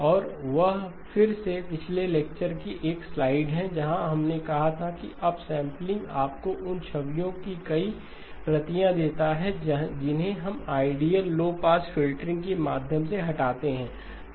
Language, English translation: Hindi, And that again is a slide from the last lecture where we said that upsampling gives you multiple copies of the images which you remove through ideal low pass filter